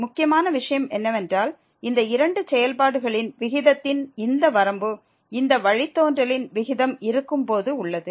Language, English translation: Tamil, The important point was that this limit of the ratio of these two functions exist when the ratio of this derivative of the